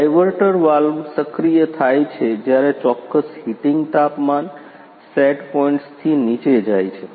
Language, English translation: Gujarati, The diverter valve is activated when the particular heating temperatures, goes below the set points ah